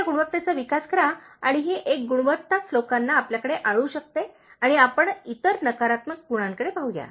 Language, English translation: Marathi, So, develop this quality and this one quality alone can make people come to you and let us look at other negative qualities which needs to be turned into positive